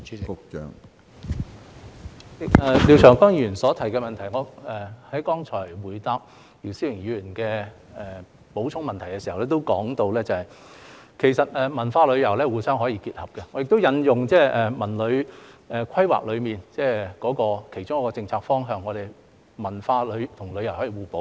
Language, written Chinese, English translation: Cantonese, 主席，關於廖長江議員所提的補充質詢，我在剛才回答姚思榮議員的補充質詢時也提到，其實文化旅遊可以互相結合，我亦引用《文旅規劃》其中一個政策方向，即文化和旅遊可以互補。, President regarding the supplementary question raised by Mr Martin LIAO as I have mentioned in my reply to Mr YIU Si - wings supplementary question earlier culture and tourism can actually be integrated with each other and I have also quoted one of the policy directions of the CTD Plan that is culture and tourism can complement each other